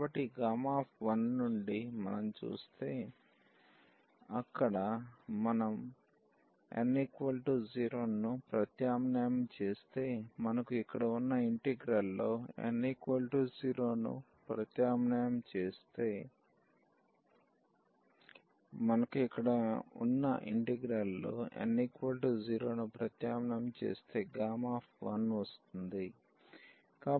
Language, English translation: Telugu, So, this gamma 1 if we see from this integral so, when we substitute there n is equal to 0 if we substitute here n is equal to 0 in the integral we have gamma 1